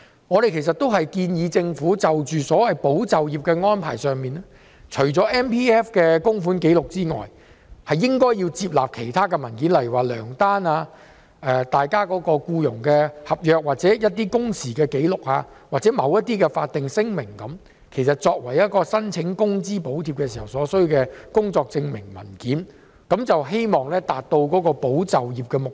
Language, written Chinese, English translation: Cantonese, 我們建議政府在所謂"保就業"的安排上，除了以 MPF 供款紀錄為根據外，也應接納其他文件，例如糧單、僱傭合約、工時紀錄，或某些法定聲明，作為申請工資補貼所需的工作證明文件，希望達到保就業的目標。, We suggest that insofar as employment support is concerned the Government accepts other documents other than MPF contribution records such as pay slips employment contracts working hours records or certain statutory declarations as proof of work in applying for wage subsidies in order to achieve the objective of safeguarding employment